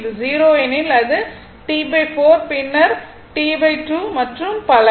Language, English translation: Tamil, So, if it is 0, it is T by 4 then T by 2 and so on right